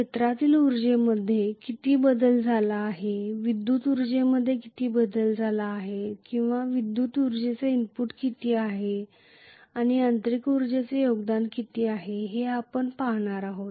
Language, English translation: Marathi, We are going to look at how much is the change in field energy, how much is the change in the electrical energy or how much is the electrical energy input, and how much is the mechanical energy contribution